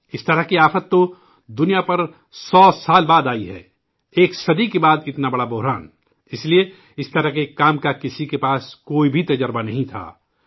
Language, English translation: Urdu, We have met such a big calamity after a century, therefore, no one had any experience of this kind of work